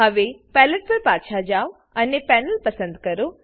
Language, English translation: Gujarati, Now Go back to the Palette and choose a Panel